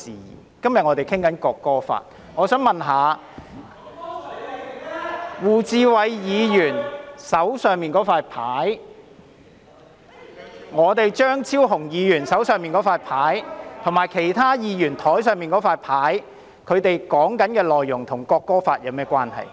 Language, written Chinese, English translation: Cantonese, 我們今天討論的是《國歌條例草案》，我想請問一下，胡志偉議員手上的紙牌、張超雄議員手上的紙牌，以及其他議員桌上的紙牌，內容與《國歌條例草案》有何關係？, Today the subject under discussion is the National Anthem Bill . How are the placards in the hand of Mr WU Chi - wai in the hand of Dr Fernando CHEUNG and on other Members desks relevant to the National Anthem Bill?